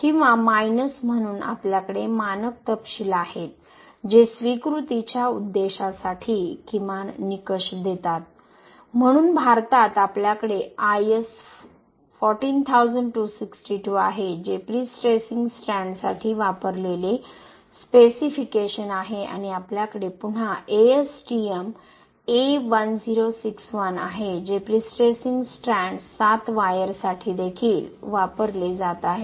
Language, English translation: Marathi, 7 plus or minus, so we have standard specifications which gives the minimum criteria for the acceptance purpose, so in India we have IS 14262 that is the specification used for prestressing strands and we have ASTM A1061 again that is also being used for prestressing strands 7wire